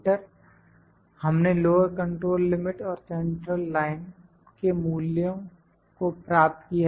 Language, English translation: Hindi, So, we have got lower control limit, upper control limit and the values of the central line